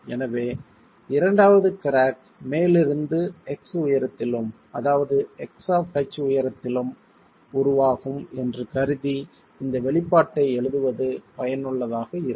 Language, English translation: Tamil, So, it's useful to write this expression assuming that the second crack will form at a, at a height X from the top, X of H from the top